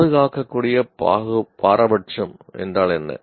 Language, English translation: Tamil, What is defensible partisanship